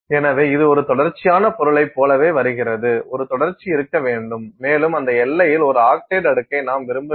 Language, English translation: Tamil, So, that it comes across as like a continuous material, a continuum should be there and you do not want an oxide layer in that boundary so, to speak